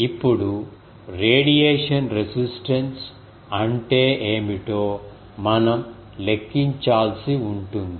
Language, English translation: Telugu, So, this shows that what is the radiation resistance